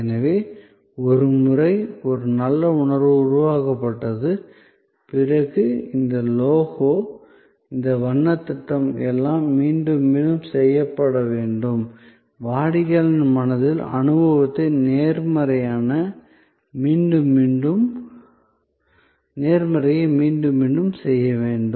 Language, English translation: Tamil, So, once a good feeling is created, then this logo, this color scheme, everything is important to repeat, to repeat, to repeat in the customer's mind the positivity of the experience